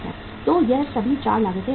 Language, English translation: Hindi, So all these 4 costs are important